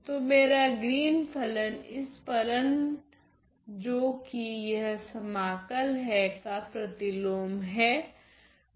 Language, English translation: Hindi, So, my Green’s function is the inversion of this function via this integral